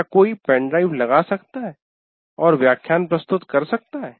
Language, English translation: Hindi, Can someone put the pen drive in and present a lecture